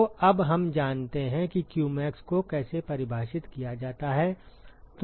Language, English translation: Hindi, So now, we know how to define qmax